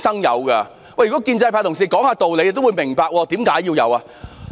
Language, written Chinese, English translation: Cantonese, 如果建制派同事肯講理，他們也會明白為何要有規範。, Pro - establishment Members who are willing to reason should understand why a code of conduct is necessary